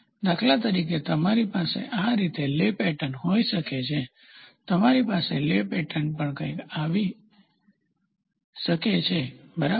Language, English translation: Gujarati, For example; you can have a lay pattern like this, you can have lay pattern like this, you can also have lay pattern something like this, ok